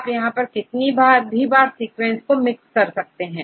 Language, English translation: Hindi, How many times you want to jumble this sequence again right